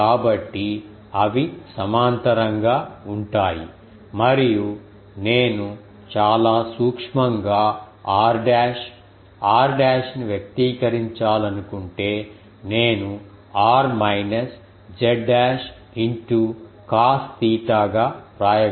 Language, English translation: Telugu, So, they are parallel and if I very minutely I want to express r dash r dash I can write as r minus z dash into cos theta